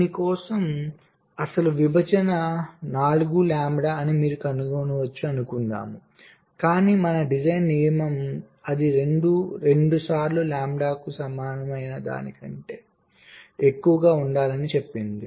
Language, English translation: Telugu, suppose you may find that for this ah, this one, the actual separation is four lambda, but our design rule says that it should be greater than equal to twice lambda